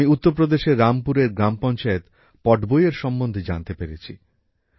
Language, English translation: Bengali, I have come to know about Gram Panchayat Patwai of Rampur in UP